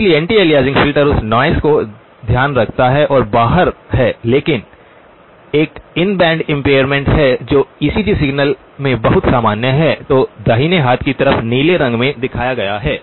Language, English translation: Hindi, So anti aliasing filter takes care of the noise that is outside but there is one in band impairment which is very, very common in ECG signals that is what is shown in the blue on the right hand side